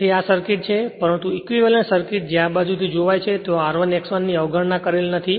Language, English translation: Gujarati, Therefore, this is the circuit, but equivalent circuit as seen from this when this R 1 X 1 say it is not there neglected